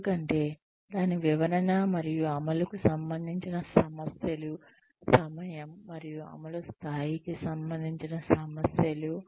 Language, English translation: Telugu, Because of, issues related to its interpretation and implementation, issues related to time and level of implementation